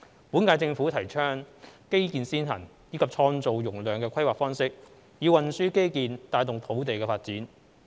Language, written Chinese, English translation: Cantonese, 本屆政府提倡"基建先行"及"創造容量"的規劃方式，以運輸基建帶動土地發展。, The current - term Government advocates the infrastructure - led capacity creating planning approach in order to motivate development of land by provision of transport infrastructure